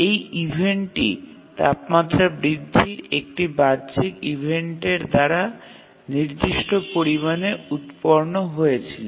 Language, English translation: Bengali, So, this event is got generated by an external event of temperature increasing to certain extent